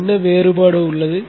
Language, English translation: Tamil, What is the difference